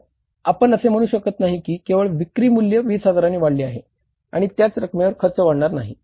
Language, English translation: Marathi, So, you can't say that only sales value has gone up by 20,000 and expenses will not go up by the same amount